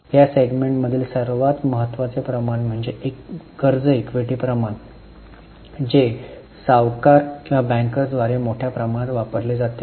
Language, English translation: Marathi, One of the most important ratios in this segment is debt equity ratio which is extensively used by lenders or bankers